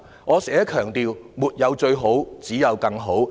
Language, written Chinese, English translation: Cantonese, 我經常強調："沒有最好，只有更好"。, I often stress One can never be the best but always do better